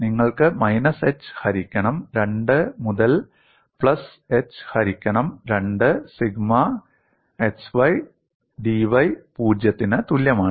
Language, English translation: Malayalam, And you also have minus h by 2 to plus h by 2 sigma xydy equal to 0